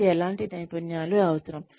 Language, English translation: Telugu, What kinds of skills, will they need